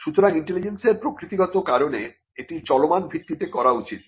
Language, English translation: Bengali, So, because of the very nature of intelligence it has to be done on an ongoing basis